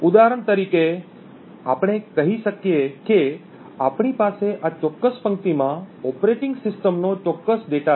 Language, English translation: Gujarati, For example let us say that we have operating system specific data present in this specific row